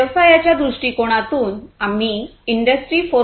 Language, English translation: Marathi, We intend to transform towards industry 4